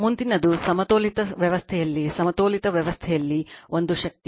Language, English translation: Kannada, Next is a power in a balanced system in a balanced system